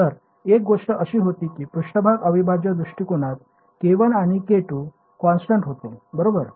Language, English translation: Marathi, So, one thing was that in the surface integral approach k 1 and k 2 they were constants right